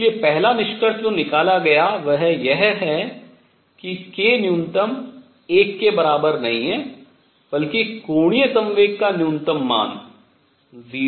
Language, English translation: Hindi, All right, so, first conclusion that was drawn is k minimum is not equal to 1, rather angular momentum lowest value can be 0